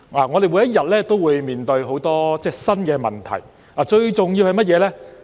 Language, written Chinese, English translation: Cantonese, 我們每天都會面對很多新的問題，最重要的是甚麼呢？, We face many new problems every day but what is the most important thing?